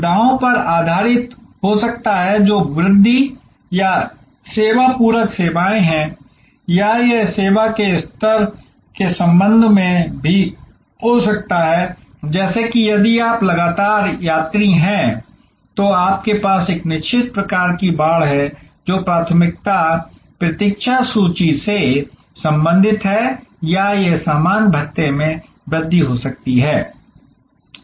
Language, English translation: Hindi, There can be based on amenities, which are the augmentation or service supplementary services or it could be even with respect to service level, like if you are a frequent traveler, then you have a certain kind of fencing, which is relating to priority wait listing or it could be increase in baggage allowances